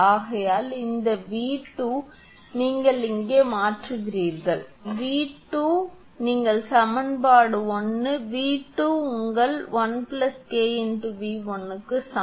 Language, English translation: Tamil, Therefore, this V 2 you substitute here, V 2 you substitute in equation 1, V 2 is equal to your 1 plus K V 1 you substitute here